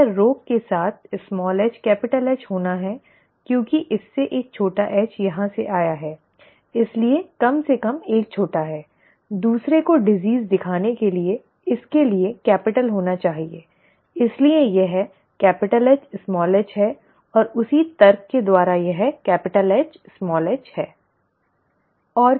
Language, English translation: Hindi, This has to be capital H capital H with the disease because this has resulted in one small h coming from here therefore at least one is a small, the other one has to be capital for it to show the disease, therefore it is capital H É